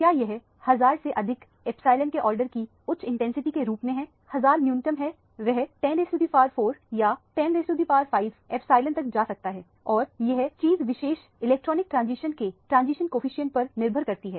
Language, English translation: Hindi, Is that it as very high intensity of the order of epsilon more than 1000, 1000 is the bear minimum it can go upto 10 to the power 4 or 10 to the power 5 epsilon depending upon the transition coefficient of that particular electronic transition